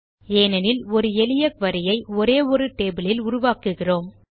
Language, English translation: Tamil, This is because we are creating a simple query from a single table